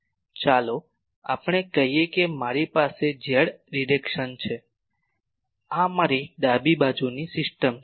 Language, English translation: Gujarati, Let us say that this is my z direction this is my left handed system